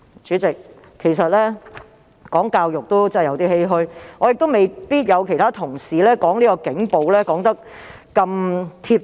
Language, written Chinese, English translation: Cantonese, 主席，談到教育，其實我也有點欷歔，而我亦未必能夠像其他同事在論述警暴時般說得那麼精準。, Chairman on education I in fact find this a little bit lamentable too . I may not be able to describe police brutality as precisely as other colleagues did